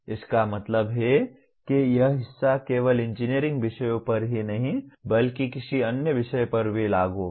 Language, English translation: Hindi, That means this part will apply not only to engineering subjects but to any other subject as well